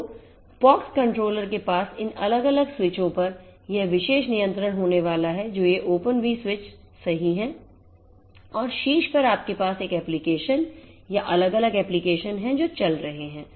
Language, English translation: Hindi, So, pox controller we are going to use and this pox controller is going to have this particular control over these different switches which are these open V switches right and on top you have an application or different applications that might be running as well